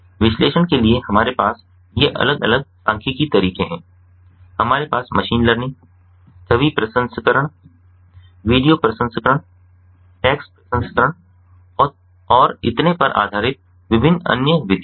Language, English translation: Hindi, we have different other methods based in machine learning, image processing, video processing, text processing and so on